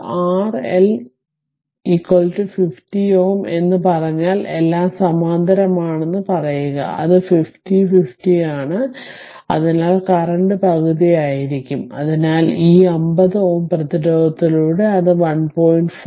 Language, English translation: Malayalam, If we say it is R L is equal to 50 ohm say all are in parallel, and it is 50 50, so current will be half half, so that means, through this 50 ohm resistance, it will be 1